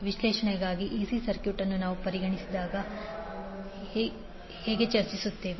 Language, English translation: Kannada, We will discuss when we consider the AC circuit for the analysis